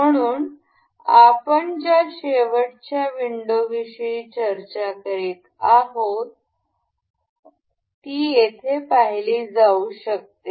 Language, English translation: Marathi, So, the same last window that we are we were discussing can can be seen here